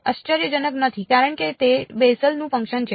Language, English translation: Gujarati, Not surprising because its a Bessel’s function